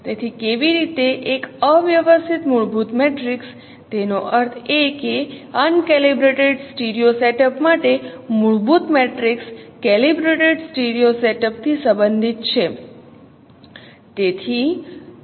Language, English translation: Gujarati, So how a uncalibrated fundamental matrix that means fundamental, fundamental matrix for uncalibrated studio setup is related to a calibrated studio setup